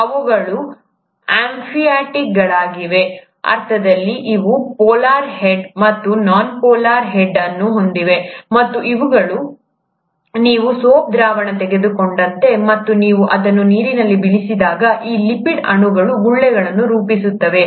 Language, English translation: Kannada, These are amphiphatic, in the sense that they do have a polar head, and a non polar tail, and these, it's like you take a soap solution and when you drop it in water, these lipid molecules will end up forming bubbles